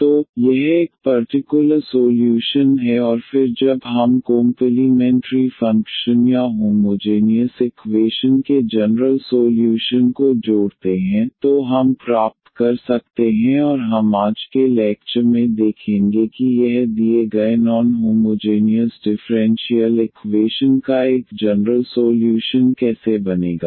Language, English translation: Hindi, So, this is a one particular solution and then when we add the complimentary function or the general solution of the homogeneous equation, then we can get and we will see in today’s lecture how this will form a general solution of the given non homogeneous differential equation